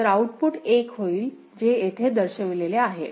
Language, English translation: Marathi, So, the output will be 1 that is what has been shown here